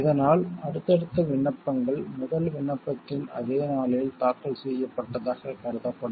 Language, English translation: Tamil, These subsequent applications will be regarded as if they had been filed on the same day as the first application